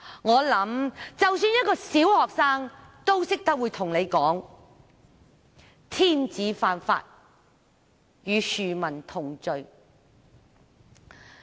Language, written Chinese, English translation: Cantonese, 我想即使小學生也懂得告訴他，"天子犯法，與庶民同罪"。, I believe even primary school pupils can tell him that everyone is equal before the law